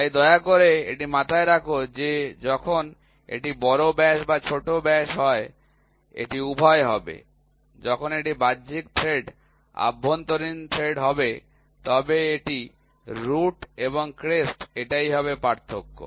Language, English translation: Bengali, So, please keep this in mind when it is major diameter or minor diameter it will be both when it is external thread internal thread it will be lit roots and crest that is the difference